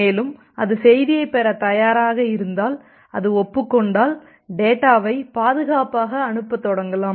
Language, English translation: Tamil, And if it is ready to receive the message, if it acknowledges then we can safely start sending the data